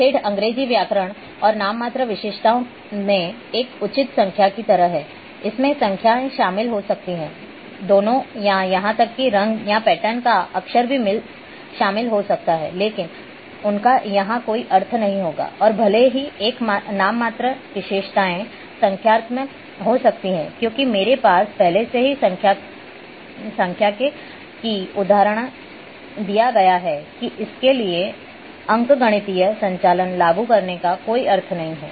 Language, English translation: Hindi, There is a like a proper noun in typical English grammar and nominal attributes include, can include numbers can include letters both or even colours or pattern, but they will not have any meaning here and even though a nominal attribute can be numeric as I have given already example there it make no sense to apply arithmetic operations to it